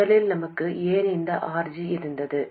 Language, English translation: Tamil, First of all, why did we have this RG